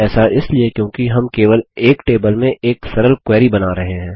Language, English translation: Hindi, This is because we are creating a simple query from a single table